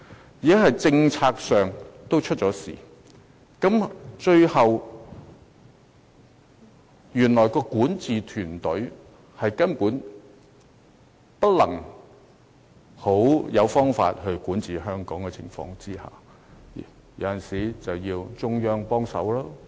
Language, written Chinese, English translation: Cantonese, 由此可見，現時是政策上出了問題，原來特區的管治團隊根本沒有好方法管治香港，所以往往要中央協助。, It is thus clear that our predicament is a result of policy blunders . As the governing teams of the SAR could not come up with good ideas to administer Hong Kong assistance from the Central Government was invariably required